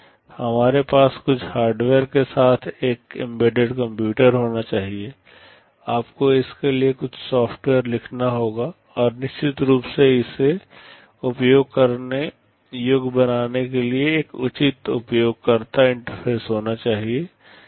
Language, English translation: Hindi, We have to have an embedded computer with some hardware, you have to write some software to do it, and of course there has to be a proper user interface to make it usable